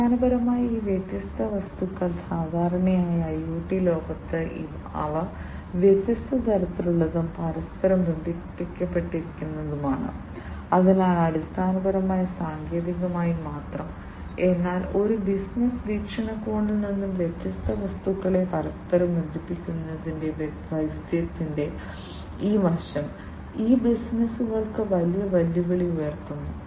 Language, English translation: Malayalam, So, basically these different objects typically in the IoT world, they are you know they are of different types and they are interconnected together, so that basically also poses not only technically, but from a business perspective, this aspect of diversity of interconnecting different objects, it poses a huge challenge for the businesses